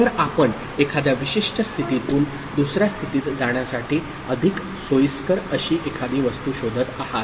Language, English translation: Marathi, So, you would look for something which is more convenient to trigger from one particular state to another